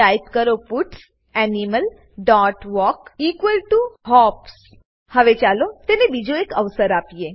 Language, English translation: Gujarati, Type puts animal dot walk equal to hops Now let give it another try